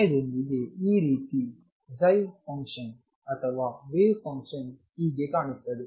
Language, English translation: Kannada, With time this is how the psi function or the wave function is going to look like